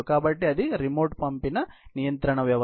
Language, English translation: Telugu, So, that is remote dispatched control system